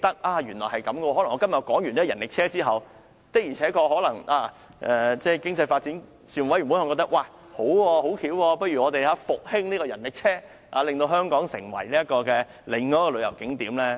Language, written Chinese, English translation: Cantonese, 例如，我今天提出了發展人力車後，可能經濟發展事務委員會認為這主意很好，決定復興人力車，使之成為香港另一個旅遊景觀。, For example following my proposal on the development of rickshaws today the Panel on Economic Development may consider that it is a good idea to revitalize rickshaws and enable them to become another tourist attraction of Hong Kong